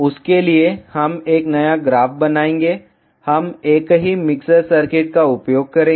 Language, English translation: Hindi, For that, we will create a new graph; we will use the same mixer circuit